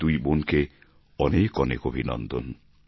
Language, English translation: Bengali, Many congratulation to these two sisters